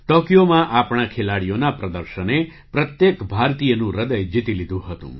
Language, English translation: Gujarati, The performance of our players in Tokyo had won the heart of every Indian